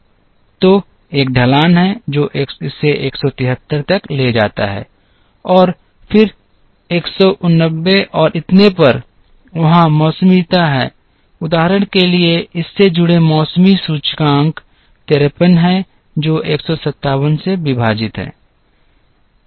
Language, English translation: Hindi, So, there is a slope which takes it to 173 and then to 189 and so on, there is seasonality, for example the seasonality index associated with this is 53 divided by 157